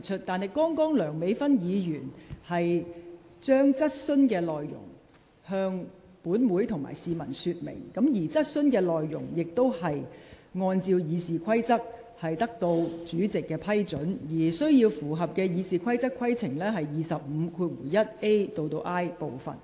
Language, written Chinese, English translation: Cantonese, 然而，剛才梁美芬議員只是向本會陳述質詢內容，而質詢內容亦已按照《議事規則》得到主席批准，符合《議事規則》第25條1款 a 至 i 段的規定。, However Dr Priscilla LEUNG was only reading out the content of her question to the Council just now and pursuant to the Rules of Procedure her question has already been approved by the President and confirmed to be in line with the provisions of Rule 251a to i of the Rules of Procedure